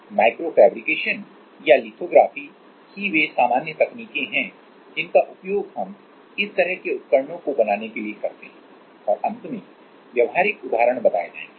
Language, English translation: Hindi, Like micro fabrication or lithography these are the usual techniques we use for making these kind of devices and finally, practical example